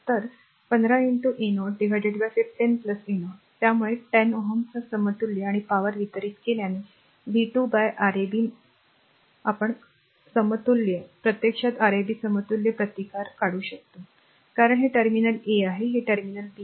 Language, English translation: Marathi, So, 15 into 30 by 15 plus 30; so equivalent to 10 ohm and power delivered is you know v square upon Rab because equivalent this is actually Rab equivalent resistance, because this terminal is a this terminal is b